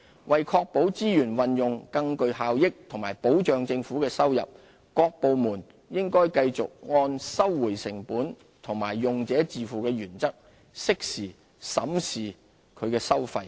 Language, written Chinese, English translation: Cantonese, 為確保資源運用更具效益和保障政府的收入，各部門應繼續按"收回成本"和"用者自付"原則，適時審視其收費。, To ensure the effective use of our public resources and to preserve the revenue base government departments should continue to review their fees and charges in a timely manner and in accordance with the cost recovery and user pays principles